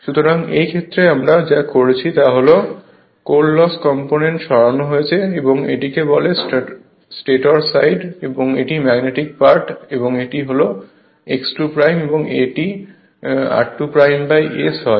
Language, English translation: Bengali, So, in this case what we have done is that, that core loss component is removed right and this is your what you call this is the stator side, this is the magnetizing part and this is x 2 dash this is r 2 dash by S right